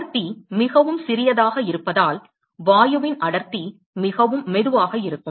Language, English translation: Tamil, Because the density is very small right density of gas is very slow